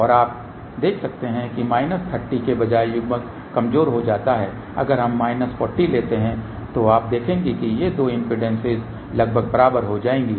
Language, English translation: Hindi, And you can see that as the coupling becomes weak ok instead of minus 30 if we take minus 40 you will see that these two impedances will become approximately equal